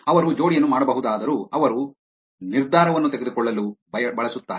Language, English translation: Kannada, While they could make the pair, which they would use to make the decision